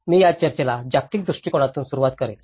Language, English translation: Marathi, I will start the discussion from a global perspective